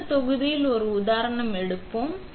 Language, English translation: Tamil, We will take an example in the next module